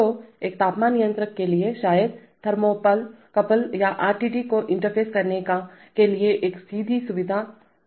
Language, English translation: Hindi, So for a temperature controller probably there will be a direct facility to interface thermocouples or RTDs